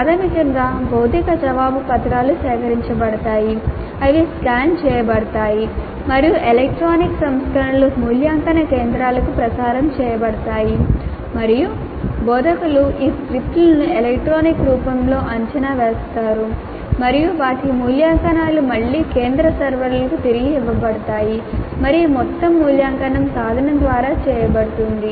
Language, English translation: Telugu, Basically the answer sheets, physical answer sheets are collected, they are scanned and the electronic versions are transmitted to the evaluation centers and the instructors evaluate these scripts in the electronic form and their evaluations are again fed back to the central servers and the total evaluation is done by a tool